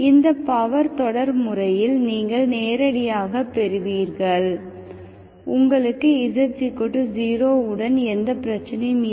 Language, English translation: Tamil, In this power series method you directly get, you do not have problem with z equal to 0, okay